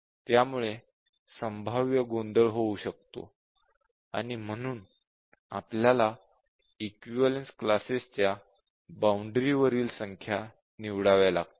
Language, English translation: Marathi, And therefore, we have to pick numbers at the boundary of the equivalence classes